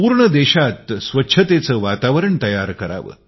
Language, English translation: Marathi, Let's create an environment of cleanliness in the entire country